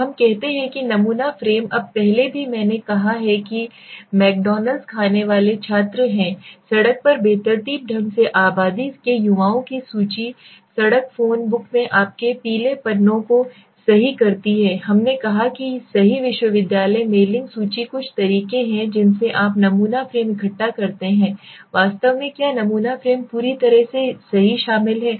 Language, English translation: Hindi, So let us say the sampling frame now earlier also I have said students who eat McDonalds is a list of population right young people at random in the street phone book right your yellow pages we said right university mailing list just some of the ways you collect the sampling frame this is what sampling frame actually is completely comprising of right